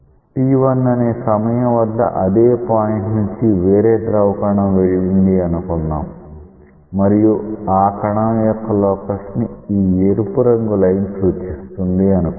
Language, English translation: Telugu, Let us say there is another fluid particle which has passed through this at time equal to t1 and let us say that this red line represents it locus